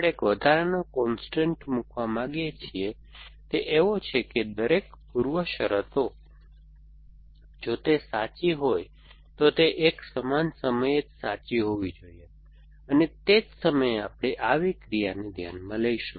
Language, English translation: Gujarati, We want to put a slight additional constant that the preconditions of those actions must be possibly true at the same time if they are possibly true, at the same time we will consider such an action